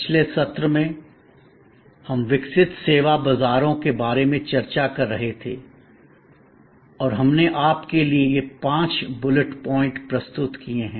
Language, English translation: Hindi, In the last session, we were discussing about the evolving service markets and we presented these five bullet points to you